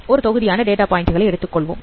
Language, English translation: Tamil, Consider there are two groups of data points